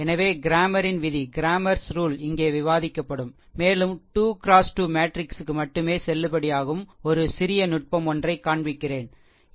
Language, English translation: Tamil, So, just cramers rule we will discuss here, and one small technique I will show you which is valid only for 3 into 3 matrix, right